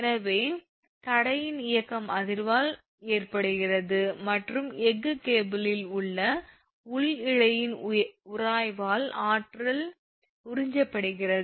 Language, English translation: Tamil, So, movement of the damper is caused by the vibration and energy is absorbed by the inner strand friction in the steel cable right